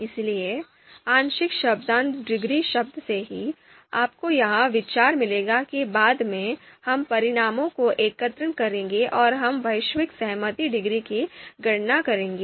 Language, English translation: Hindi, So from the word partial concordance degree itself, you will get the idea that later on we will be aggregating the results and we would be you know computing the global concordance degree